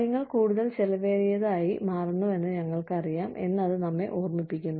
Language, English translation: Malayalam, That just reminds us that, we are aware that, things are becoming more expensive